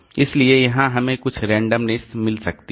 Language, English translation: Hindi, So, here we have got some amount of randomness